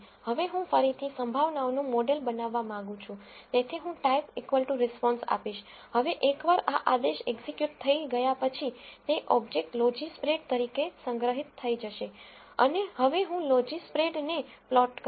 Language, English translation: Gujarati, Now, since I want to again model the probabilities, I am going to give type equal to response, now once this command is executed it gets stored as an object logispred and now I will plot the logispred